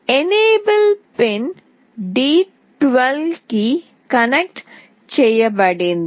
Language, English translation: Telugu, The enable pin is connected to d12